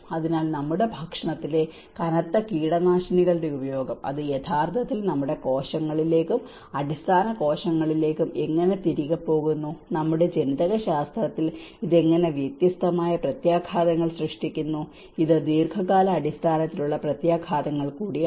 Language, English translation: Malayalam, So, also the pesticidization like usage of heavy pesticides in our foods, how it is actually going back to our cells, basic cells, and how it is creating a different effects on our genetics, that is also the long run impacts